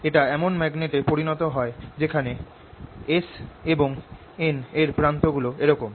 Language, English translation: Bengali, this obviously develops in such a magnet that s and n ends are like this